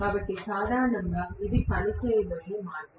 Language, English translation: Telugu, So, this is the way generally it is going to work